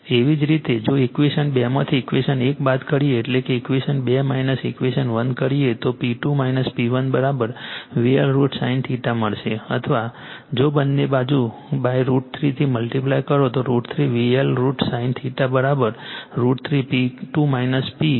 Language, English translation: Gujarati, Similarly, if you subtract equation 1 from equation 2 right; that is, equation 2 minus equation 1, you will get P 2 minus P 1 is equal to V L I L sin theta right or if, you multiply both side by root 3 then root 3 V L I L sin theta is equal to root 3 into P 2 minus P, minus P 1 right